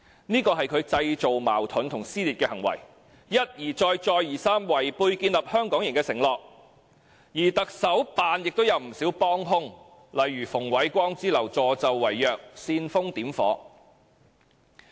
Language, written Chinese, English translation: Cantonese, 這是他製造矛盾及撕裂的行為，一而再、再而三違背建立"香港營"的承諾，而行政長官辦公室亦有不少幫兇，例如馮煒光之流，助紂為虐，煽風點火。, His actions to create conflicts and dissension were repeated betrayals of the pledge of creating a Hong Kong Camp . He has many accomplices in the Chief Executives Office such as Andrew FUNG who helped him perpetuate his oppression and fanned the flames of troubles